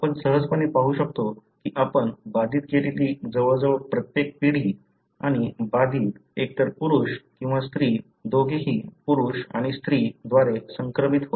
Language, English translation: Marathi, You can easily see that that almost every generation you have affected and the affected is either male or female transmitted by both male and female